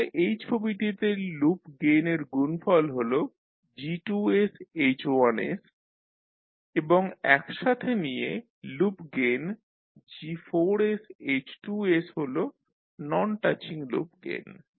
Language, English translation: Bengali, So in this particular figure the product of loop gain that is G2 and H1 and the loop gain G4s2 is the non touching loop gain taken two at a time